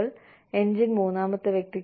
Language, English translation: Malayalam, And, the engine to third person